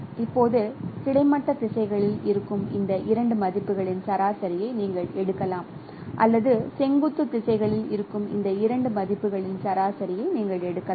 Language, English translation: Tamil, Now you can take the average of these two values that is in the horizontal directions or you can take the average of these two values that is in the vertical directions